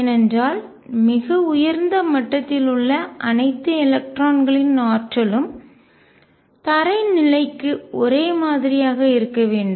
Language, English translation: Tamil, Because the energy of all the electrons at the upper most level must be the same for the ground state